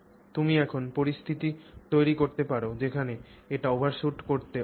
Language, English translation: Bengali, You can create situations where it is unable to overshoot